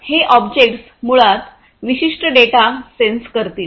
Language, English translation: Marathi, So, these objects basically will sense certain data